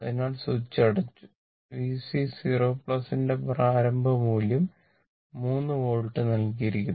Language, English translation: Malayalam, So, switch is closed and initial value of V C 0 plus is given 3 volt it is given